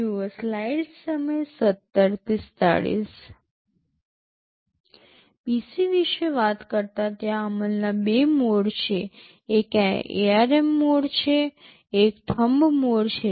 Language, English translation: Gujarati, Talking about PC, there are two modes of execution; one is the ARM mode, one is the Thumb mode